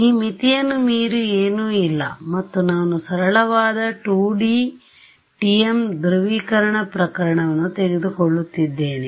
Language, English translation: Kannada, So, this is a right boundary I means there is nothing beyond this boundary and I am taking a simple 2D TM polarization case ok